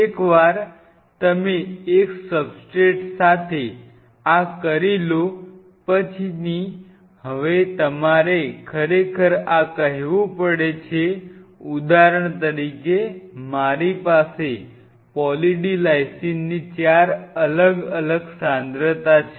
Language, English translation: Gujarati, Once you have done this with one substrate the next thing comes you have to now really take this say for example, I have 4 different concentration of Poly D Lysine PLD1 PLD2 PLD3 PLD4